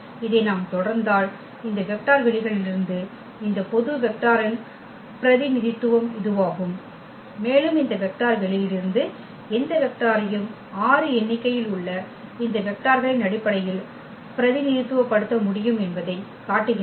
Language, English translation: Tamil, If we continue this so, that is the representation now of this general vector from this vector spaces and that shows that we can represent any vector from this vector space in terms of these given vectors which are 6 in number